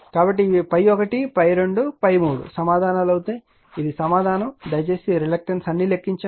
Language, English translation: Telugu, So, these are the answer phi 1 phi 2 phi 3, this one the answer you please all the reluctants everything computed